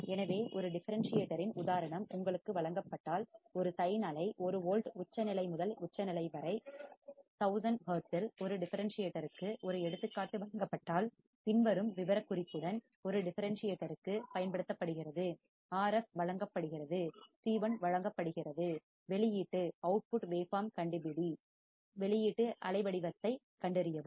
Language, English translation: Tamil, So, if you are given an example of a differentiator, if you are given an example of a differentiator such that a sin wave 1 volt peak to peak at 1000 hertz is applied to a differentiator with the following specification, RF is given, C 1 is given, find the output waveform, find the output waveform